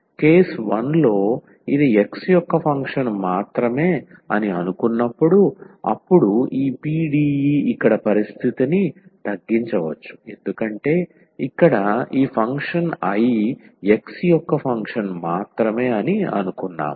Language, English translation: Telugu, So, in the case 1, when we assume that this is a function of x alone then this PDE, the condition here can be reduced because we have assumed that this function here I is a function of x alone